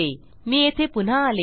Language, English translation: Marathi, I return here